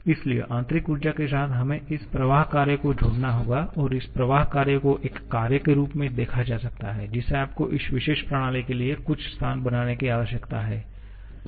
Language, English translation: Hindi, So, with internal energy we have to make or we have to add this flow work and this flow work can be visualized as a work which you need to make some space for this particular system